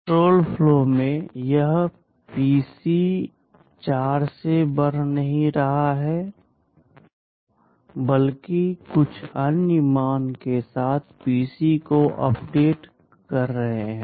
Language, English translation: Hindi, Now in control flow, this PC is not being incremented by 4, but rather you are updating PC with some other value